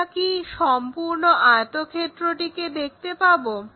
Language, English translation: Bengali, Are you in a position to see the complete rectangle